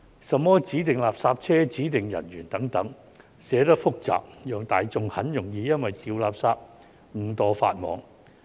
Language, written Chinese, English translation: Cantonese, 甚麼指定垃圾車、指定人員等，寫得複雜，讓大眾很容易因為掉垃圾誤墮法網。, The text of the Bill is complicated laden with such terms as designated refuse collection vehicles designated officers making the public prone to being caught by the law inadvertently for waste disposal